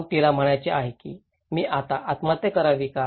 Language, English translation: Marathi, Then, she wants to say what, should I commit suicide now